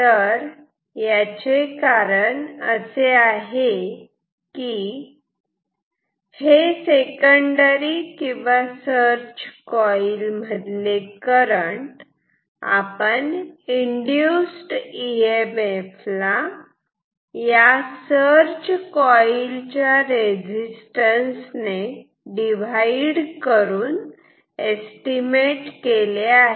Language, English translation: Marathi, The reason is here say in this line, I am estimating the current in the secondary or the search coil by dividing the E m f induced with the resistance of the search coil